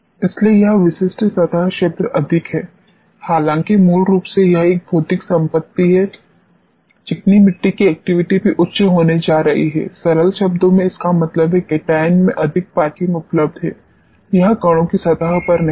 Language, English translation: Hindi, So, more this specific surface area fundamentally though it is a physical property the activity of the clay is also going to be high; that means, in simple words cations have more parking lots available is it not on the surface of the grains